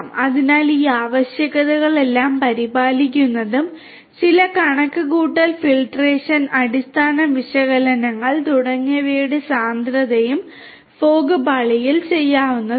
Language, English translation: Malayalam, So, taking care of all of these requirements and the density of doing certain computation filtration you know basic analytics and so on could be done at the fog layer